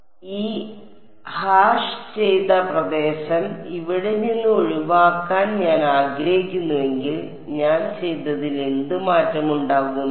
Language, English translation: Malayalam, So, supposing I want to exclude this hashed region from here, what would change in what I have done